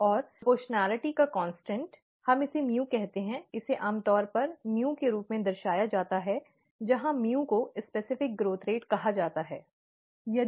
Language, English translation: Hindi, And, the constant of proportionality, let us call it as mu, it is usually represented as mu, where mu is called the ‘specific growth rate’, okay